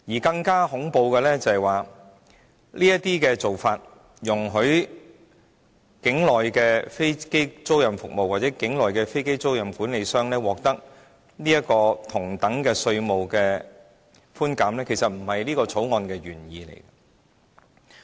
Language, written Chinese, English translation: Cantonese, 更恐怖的是，這些做法容許境內的飛機租賃服務或飛機租賃管理商獲得同等的稅務寬減，其實並不是《條例草案》的原意。, What is more horrifying is that allowing onshore aircraft leasing services and aircraft leasing managers to enjoy the same tax concessions is essentially not the original intent of the Bill